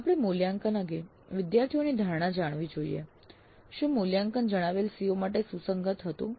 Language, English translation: Gujarati, So, we should get the students perception regarding the assessments, whether the assessments were relevant to the stated COs